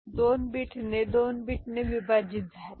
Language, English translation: Marathi, So, that was 4 bit getting divided by 2 bit